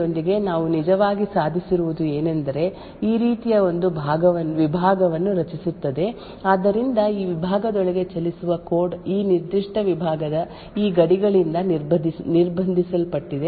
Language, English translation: Kannada, Now with a Fine Grained confinement to within a process what we actually achieved is creating one compartment like this, so code that runs within this compartment is restricted by these boundaries of this particular compartment